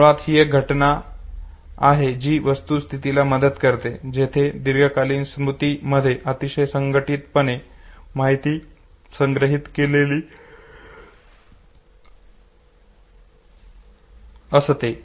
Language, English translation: Marathi, This basically is a phenomenon which supports the fact that the storage of information in the long term memory is very, very organized okay